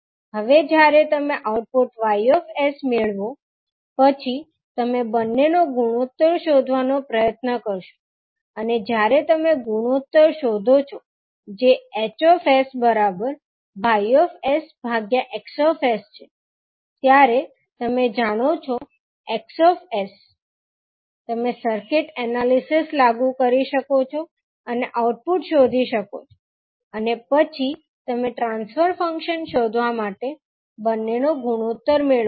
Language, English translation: Gujarati, Now when you get the output Y s, then you will try to find out the ratio of the two and when you find out the ratio that is a H s equal to Y s upon X s, you know X s, you can apply the circuit analysis and find the output and then you obtain the ratio of the two to find the transfer function